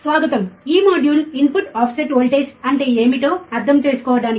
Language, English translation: Telugu, Welcome, this module is for understanding what is input offset voltage, alright